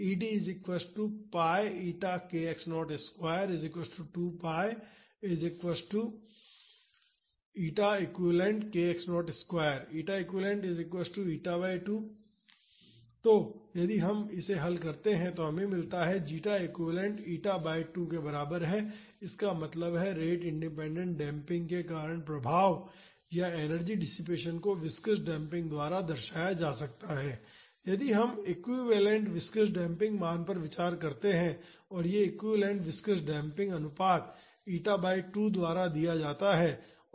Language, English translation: Hindi, So, if we solve this we get the zeta equivalent is equal to eta by 2; that means, the effect or the energy dissipation due to rate independent damping can be represented by viscous damping, if we consider an equivalent viscous damping value and this equivalent viscous damping ratio is given by eta by 2